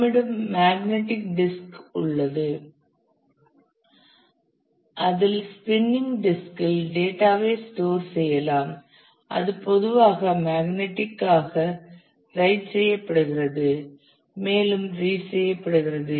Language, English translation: Tamil, Then you have the magnetic disk where the data is stored on spinning disk and it is typically written and read magnetically